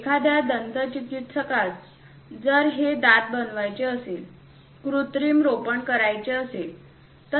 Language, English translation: Marathi, For a dentist, if he wants to make these teeth, artificial implants and so on